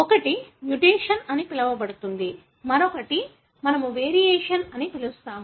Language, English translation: Telugu, One is called as mutation, the other term what you call as variations